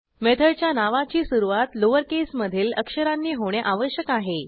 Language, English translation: Marathi, Method name should begin with a lowercase letter